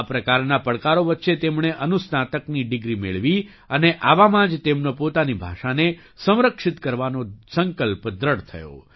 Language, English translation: Gujarati, Amidst such challenges, he obtained a Masters degree and it was only then that his resolve to preserve his language became stronger